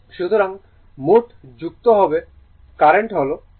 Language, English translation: Bengali, So, total added and current is I